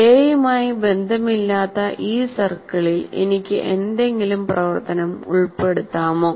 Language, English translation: Malayalam, And if I put some activity, can I put some activity in this circle which doesn't have intersection with A